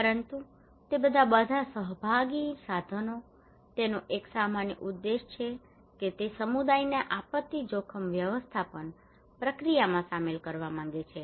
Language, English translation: Gujarati, But all of them, all participatory tools, they have one common objective that is they wanted to involve community into the disaster risk management process